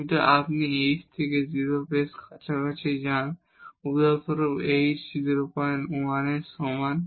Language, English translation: Bengali, But if you go pretty close to h to 0 for example, h is equal to 0